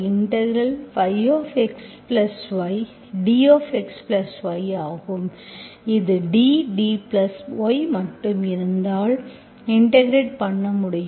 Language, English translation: Tamil, This is like D, D of this, D of x plus y, if it is like this only, I can integrate